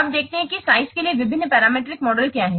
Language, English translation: Hindi, Now let's see what are the different parametric models for size